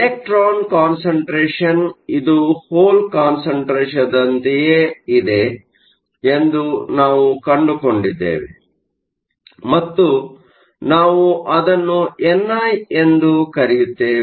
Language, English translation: Kannada, We saw that the electron concentration is the same as whole concentration and we called it n i